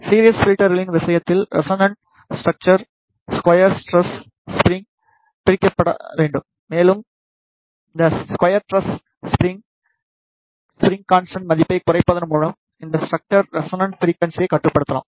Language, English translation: Tamil, In case of series filters, the the resonant structures should be separated by the square tressed spring and the resonance frequency of this structure can be controlled by lowering the spring constant value of this square tressed spring